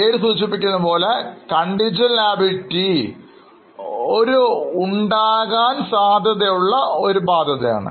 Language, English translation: Malayalam, As the name suggests, contingent liability is a possible obligation